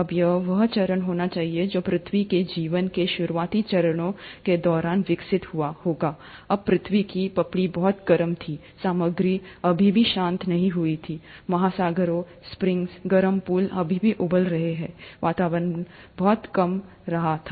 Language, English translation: Hindi, Now this must be the phase which must have evolved during the very early stages of earth’s life, when the earth’s crust was very hot, the material has still not cooled down, the oceans, the springs, the hot pools were still boiling, the atmosphere was highly reducing